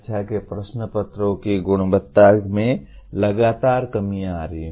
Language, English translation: Hindi, The quality of the exam papers have been more or less continuously coming down